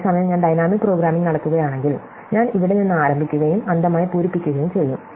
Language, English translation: Malayalam, Whereas, if I do dynamic programming, I will start from here and I would blindly fill up